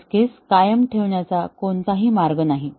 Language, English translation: Marathi, There is no way we can maintain the test case